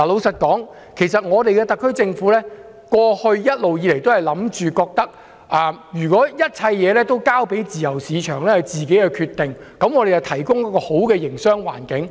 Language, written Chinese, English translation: Cantonese, 特區政府過往一直認為，一切事情應交由市場自行決定，政府只負責提供一個良好的營商環境。, The SAR Government has long believed that everything should be determined by the market while the Government should only be responsible for providing a good business environment